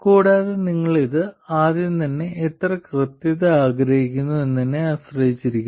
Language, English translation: Malayalam, And it also depends on how much accuracy you want in the first place